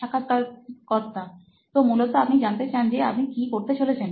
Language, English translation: Bengali, So basically you want to know what you are going to do